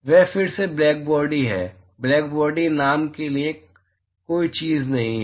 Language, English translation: Hindi, They are, again, blackbody there is nothing called a blackbody